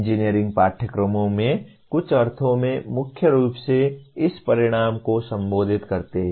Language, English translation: Hindi, In some sense majority of the engineering courses, mainly address this outcome